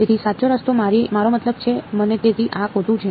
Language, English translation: Gujarati, So, the correct way it I mean the so this is wrong